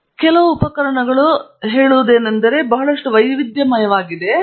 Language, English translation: Kannada, So, this is some equipment; as I said a lot of variety is there